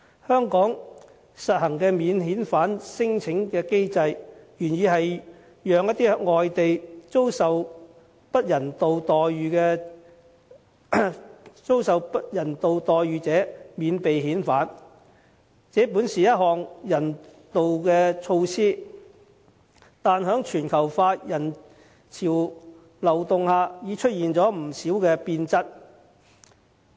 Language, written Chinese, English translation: Cantonese, 香港實行的免遣返聲請機制，原意是讓一些在外地遭受不人道待遇者免被遣返，這本是一項人道措施，但在全球化人潮流動下已變質。, The original intent of implementing the non - refoulement claim mechanism in Hong Kong is to spare victims of inhuman treatment overseas from repatriation . Basically this is a humanitarian measure but with the flow of people amidst globalization the nature of the measure has somewhat changed